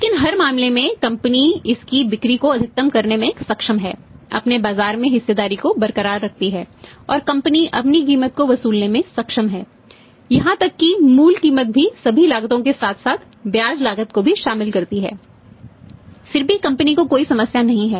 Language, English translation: Hindi, But in every case in every case company is able to maximize it sales retains its market share and company is able to recover its price also that the basic price inclusive all the cost plus interest cost cost also so there is no problem to the company